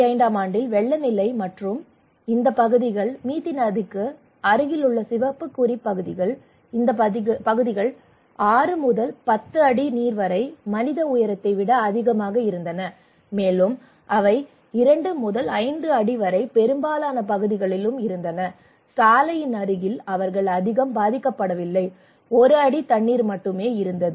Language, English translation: Tamil, The flood level in 2005 and these areas, the red mark areas close to the Mithi river, these areas were around six to ten feet of water, six to ten feet that is more than a human height okay and also they had two to five feet in most of the parts and close to the road they were not much suffered, only one feet of water